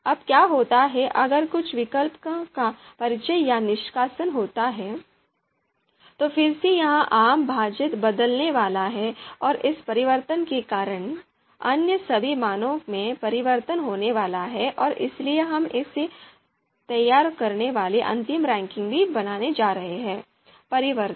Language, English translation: Hindi, So what happens is if there is introduction or removal of certain alternatives, so again this common denominator is going to change and because of the change, all other values are going to be changed and therefore the final ranking that we produce it is also going to change